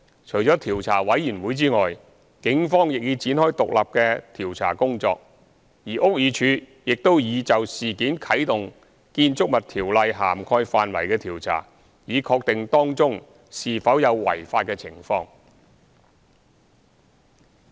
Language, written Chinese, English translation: Cantonese, 除調查委員會外，警方亦已展開獨立的調查工作，而屋宇署亦已就事件啟動《建築物條例》涵蓋範圍的調查，以確定當中是否有違法的情況。, Apart from the COI the Police has also embarked on independent investigations while the BD has already initiated inquiry into areas covered under the Buildings Ordinance in respect of the incident to ascertain if any irregularities are present